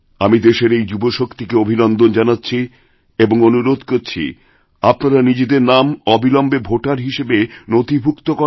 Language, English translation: Bengali, I congratulate our youth & urge them to register themselves as voters